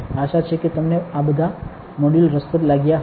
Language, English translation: Gujarati, Hope you are finding all these modules interesting